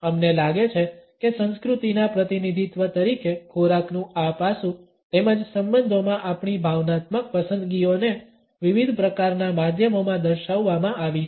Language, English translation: Gujarati, We find that this aspect of food as a representation of culture as well as our emotional preferences within relationships has been portrayed across different types of media